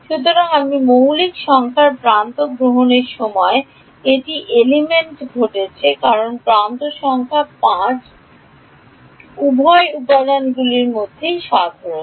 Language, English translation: Bengali, So, this happened on element when I took edge number 5 because edge number 5 is common to both the elements